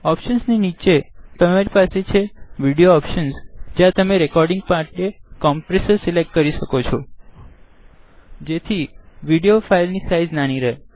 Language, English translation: Gujarati, Under Options, you have Video Options where you can select a compressor for the recording so that the video file size is small